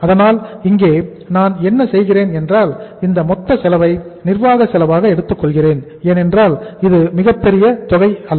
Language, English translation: Tamil, So what I am doing here, I am taking this total cost as the administrative cost because it is not a very big amount